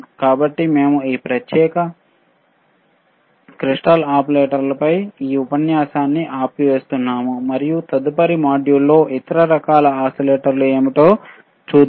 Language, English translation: Telugu, So, we will we we will stop in t this lecture in this particular on this particular crystal oscillators and let us see in the next module what are the other kind of oscillators alrightare